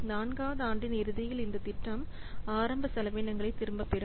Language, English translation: Tamil, So at the end of year 4, the project will get back the initial expenditure, the initial expenses